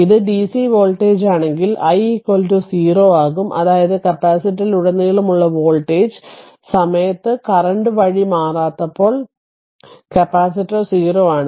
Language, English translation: Malayalam, Therefore, if it is dc voltage, so I will be is equal to 0 that means, when the voltage across the capacitor is not changing in time the current through the capacitor is 0 right